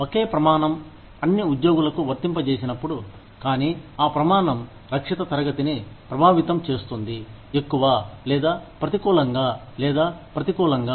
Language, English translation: Telugu, When the same standard, is applied to all employees, but that standard, affects the protected class, more or negatively or adversely